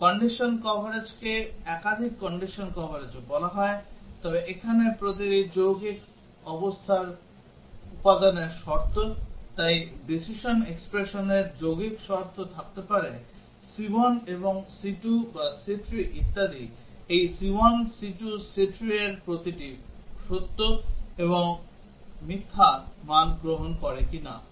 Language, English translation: Bengali, Condition coverage is also called as multiple condition coverage; so here whether the component conditions of every compound condition, so decision expression may be having compound conditions c1 and c2 or c3 etcetera, whether each of this c1, c2, c3 take true and false values